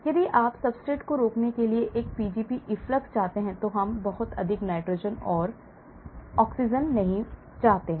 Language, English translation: Hindi, If you want a Pgp efflux preventing substrate, we do not want too much of nitrogen and oxygen